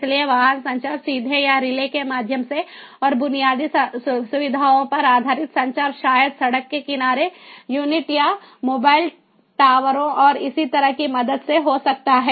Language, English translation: Hindi, so vehicle to vehicle communication either directly or through relays and the infrastructure based communication may be with the help of road side units or mobile towers and so on